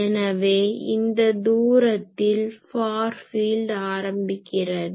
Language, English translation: Tamil, So, at that distance we can say that the far field has been started